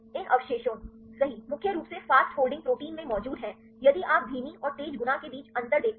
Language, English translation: Hindi, These residues, right are predominantly present in the fast folding proteins if you see the difference between slow and fast fold right